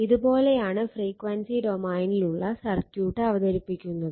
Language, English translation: Malayalam, So, this way you can represent the circuit in the frequency domain